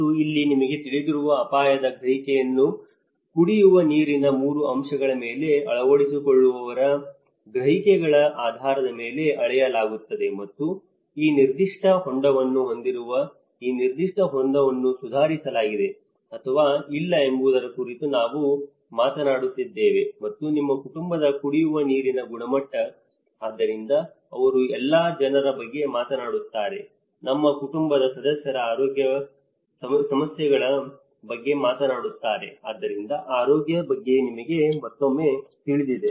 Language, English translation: Kannada, And here this is where the risk perception you know that is measured based on adopters perceptions on 3 aspects of drinking water and because we are talking about how this particular tank having this tank how it has improved or not and the drinking water quality of your family, so they talked about from good to poor, causing health issues problems of our family members, so that is again you know regarding the health